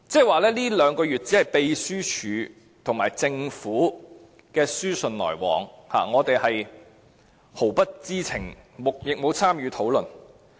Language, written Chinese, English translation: Cantonese, 換言之，這兩個月內只是秘書處和政府的書信來往，我們毫不知情，亦沒有參與討論。, In other words only the Legislative Council Secretariat was corresponding with the Government during these two months . We were all kept in the dark then without taking part in any discussions in relation to that